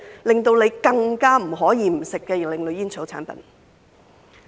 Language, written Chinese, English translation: Cantonese, 便是令人更不可不吸食的另類煙草產品。, It must be some alternative tobacco products that people find them even more difficult to resist